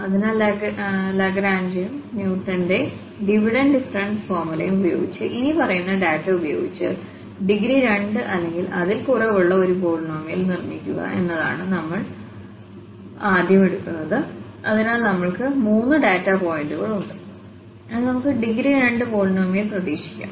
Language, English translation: Malayalam, So, the first we are taking here that using Lagrange, and the Newton's Divided difference formula, construct a polynomial of degree 2 or less with the following data, so we have the three data points, so we can expect a polynomial of degree 2 or less in some cases, the value of f is also given here, 1, 3, and 3